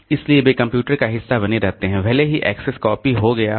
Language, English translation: Hindi, So, they remain part of the computers even if the access the copy has been made